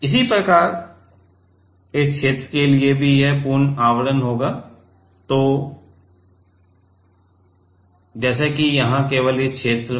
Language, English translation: Hindi, Similarly, for this region also it will be complete cover; so it is it goes like this that here only in this region